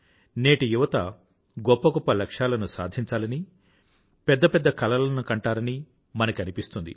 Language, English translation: Telugu, We feel that the youths are very ambitious today and they plan big